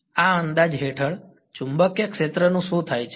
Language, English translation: Gujarati, Under this approximation, what happens to the magnetic field